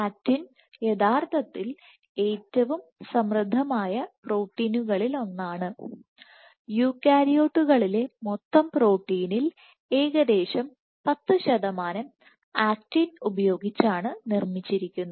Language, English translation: Malayalam, Actin actually one of the most abundant proteins, one of the most abundant proteins, so roughly so, 10 percent of the total protein in eukaryotes is made of actin